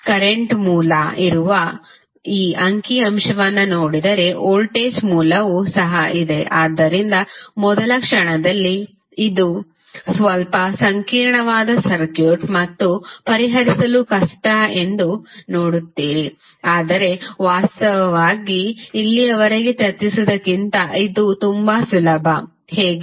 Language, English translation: Kannada, If you see this figure where current source is there, voltage source is also there so at first instant you see that this is a little bit complicated circuit and difficult to solve but actually it is much easier than what we discussed till now, how